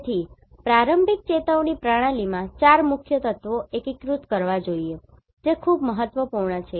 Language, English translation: Gujarati, So, early warning system should integrate 4 main elements that is very important